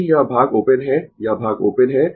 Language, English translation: Hindi, If their this part is open, this part is open